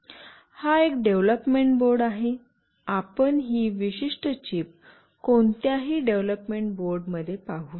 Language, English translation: Marathi, This is a development board, you can see this particular chip in any development board